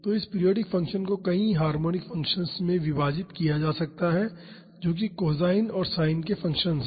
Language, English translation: Hindi, So, this periodic function can be split into multiple harmonic functions that is functions of cos and sins